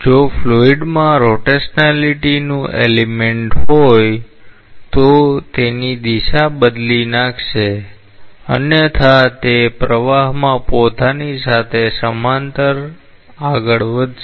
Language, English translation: Gujarati, If the fluid has an element of rotationality it will change its orientation, otherwise it will move parallel to itself in the flow